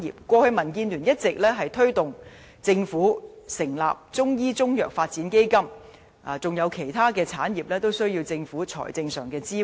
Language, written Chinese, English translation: Cantonese, 過去，民建聯一直推動政府成立中醫中藥發展基金，而其他產業也需要政府的財政支援。, In the past DAB has been pressing the Government to set up a Chinese medicine development fund . Other sectors are also in need of the Governments financial support